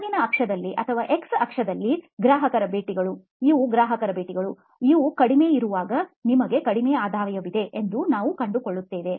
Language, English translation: Kannada, On the bottom axis or the x axis, you find that the customer visits, these are customer visits, when they are few, you have low revenue